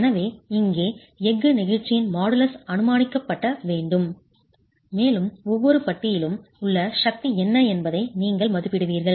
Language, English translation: Tamil, So, here, models of elasticity of steel has to be assumed and you will estimate what is the force in each bar